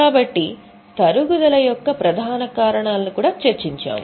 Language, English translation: Telugu, So we have just discussed the major causes of depreciation